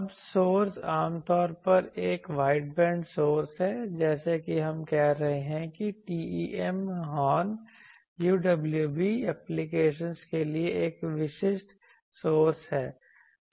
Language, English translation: Hindi, Now, the source usually is an wideband source as we have saying TEM horn that is a typical source for UWB applications